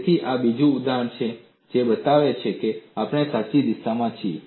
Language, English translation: Gujarati, So, this is another example which shows we are on the right direction